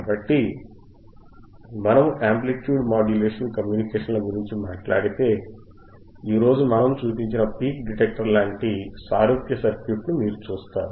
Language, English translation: Telugu, So, if we talk about amplitude modulation communications, then you will see similar circuit what we have shown today, which is your peak detector, which is are peak detector